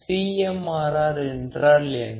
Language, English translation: Tamil, And what exactly CMRR is